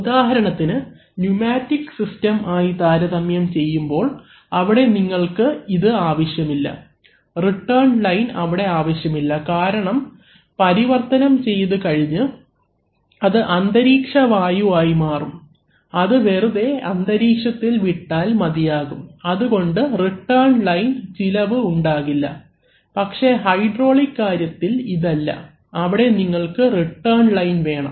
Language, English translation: Malayalam, For example, in, by contrast in pneumatic systems, you do not need those, you do not need those, you do not need the return line because it can release the air into the, after it has done the work and it has come to atmospheric pressure, you can just release the air into the atmosphere but there by saving the cost of return line but that is not the case for hydraulics, you have to have a return line